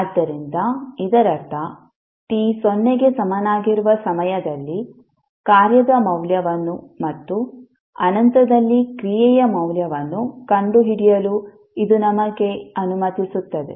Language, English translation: Kannada, So that means this allow us to find the value of function at time t is equal to 0 and the value of function at infinity